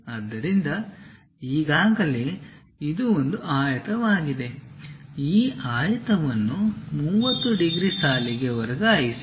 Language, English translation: Kannada, So, already it is a rectangle, transfer this rectangle onto a 30 degrees line